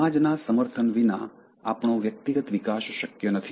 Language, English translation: Gujarati, Without society supporting us, it is not possible for individual growth